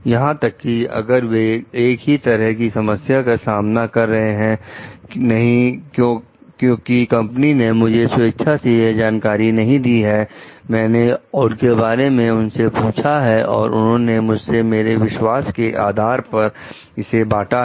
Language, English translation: Hindi, Even, if they are facing the same problem maybe, no, because company A has not volunteered that knowledge to me, I have asked for it then only they have shared it to me based on the trust that they may have on me